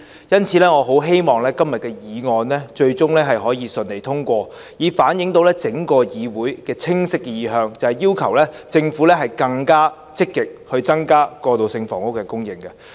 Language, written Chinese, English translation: Cantonese, 因此，我很希望今天的議案最終可以順利通過，以反映整個議會的清晰意向，就是要求政府更積極增加過渡性房屋的供應。, So I strongly hope that the motion today can be passed smoothly in the end so as to reflect a clear inclination held by the entire legislature the inclination that it requests the Government to increase transitional housing supply more proactively